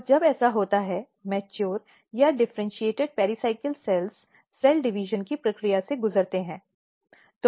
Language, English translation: Hindi, And when this happens; what happens that, this mature or differentiated pericycle cells they undergo the process of cell division